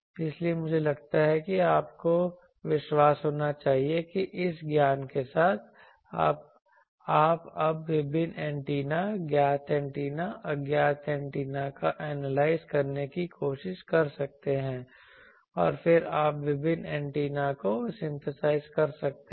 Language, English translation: Hindi, So, I think with that you should be confident that with this knowledge, you can now try to have analyzed various antennas known antennas unknown antennas then and then also you can synthesize various antennas